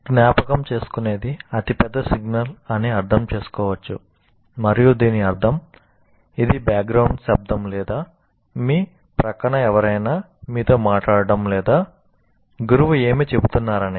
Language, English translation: Telugu, And that means which is the most dominating signal, whether it is a background noise or somebody next to you talking to you or the what the teacher is saying